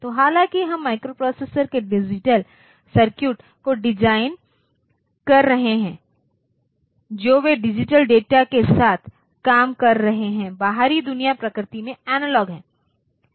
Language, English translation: Hindi, So, though we are designing digital circuit of the microprocessors they are operating with digital data, the outside world is analogue in nature